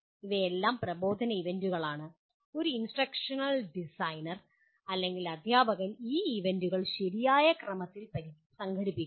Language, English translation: Malayalam, These are all instructional events and an instructional designer or the teacher will organize these events in a proper sequence